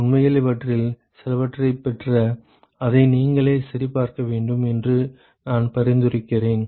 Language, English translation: Tamil, In fact, I would recommend that you should derive some of these and check it by yourself